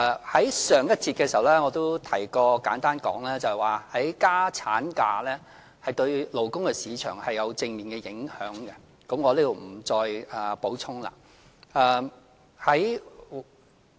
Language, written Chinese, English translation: Cantonese, 在上一節的時候，我亦簡單提及過，增加產假對勞工市場有正面影響，我在這裏不再補充。, Since I already briefly mentioned in the previous session the positive impact of extending the duration of maternity leave on the labour market I will not make any additional comments here